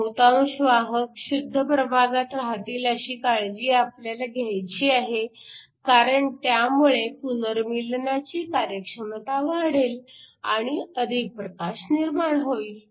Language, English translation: Marathi, We can make sure that most of the carriers are located in the intrinsic region, so that we increase the efficiency of the recombination and then produce more light